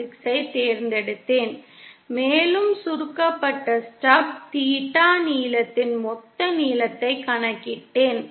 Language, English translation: Tamil, 6 and I calculated the total length of the shorted stub theta length